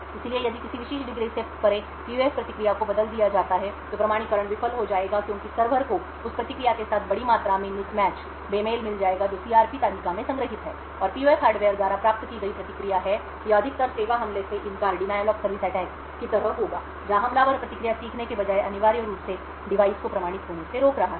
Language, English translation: Hindi, So if the PUF response is altered beyond a particular degree, the authentication would fail because the server would find a large amount of mismatch with the response which is stored in the CRP table and the response of obtained by the PUF hardware, this would be more like a denial of service attack, where the attacker rather than learning what the response would be is essentially preventing the device from getting authenticated